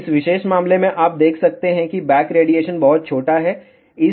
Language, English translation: Hindi, In this particular you can see that, the back radiation will be very very small